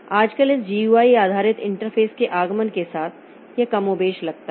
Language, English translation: Hindi, Nowadays with the advent of this GUI based interface so it has become more or less same